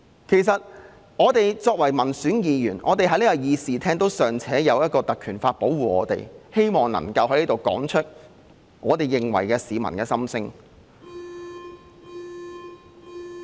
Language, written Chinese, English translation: Cantonese, 其實，作為民選議員，我們在這個議事廳尚且有《立法會條例》保護，能夠在這裏說出我們認為的市民心聲。, In fact as elected Members we can still voice out here what we think are public opinions as we are protected by the Legislative Council Ordinance in this chamber